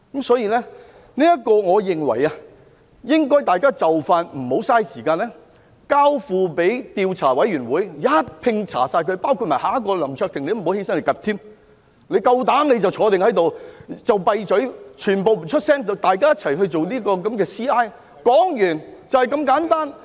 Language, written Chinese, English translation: Cantonese, 所以，我認為大家不應浪費時間，應盡快交付調查委員會，一併調查，包括下一位林卓廷議員，大家不要站起來說話，你們夠膽就坐在這裏，全部人閉嘴，大家一起進行調查，說完，就這麼簡單。, Therefore I reckon that we should not waste any more time but refer the issues to an investigation committee which will conduct a comprehensive investigation including the case concerning Mr LAM Cheuk - ting which is coming next . Members will not stand up and speak . If you dare you just sit here and say nothing